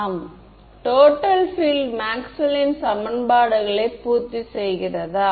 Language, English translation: Tamil, Yes does the total field satisfy Maxwell’s equations